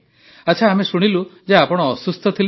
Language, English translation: Odia, Well I heard that you were suffering